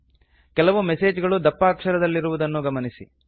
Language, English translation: Kannada, Notice that some messages are in bold